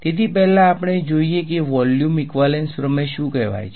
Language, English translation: Gujarati, So, first we look at what is called the volume equivalence theorem